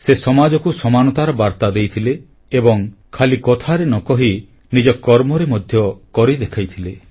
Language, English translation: Odia, He advocated the message of equality in society, not through mere words but through concrete endeavour